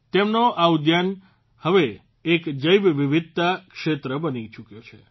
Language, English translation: Gujarati, His garden has now become a Biodiversity Zone